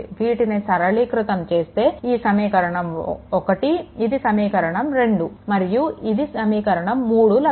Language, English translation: Telugu, So, finally, upon simplification this one this is equation 1 this equation 2 and this is equation 3